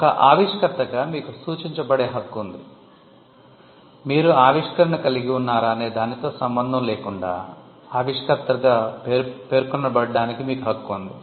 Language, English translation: Telugu, As an inventor, you have a right to be denoted; you have a right to be mentioned as an inventor, regardless of whether you own the invention